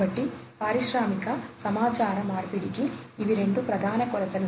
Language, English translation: Telugu, So, these are the two major dimensions for industrial communication